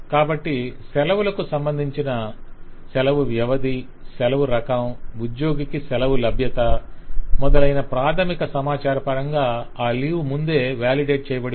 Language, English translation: Telugu, so the system has already validated that the leave according to the basic structure of leave duration, leave type, availability of leave to that particular employee and so on has already been changed